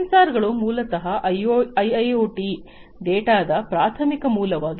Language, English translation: Kannada, So, sensors are basically the primary source of IIoT data